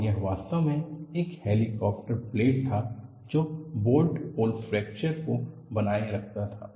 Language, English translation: Hindi, And this was actually, a helicopter blade retaining bolt hole fracture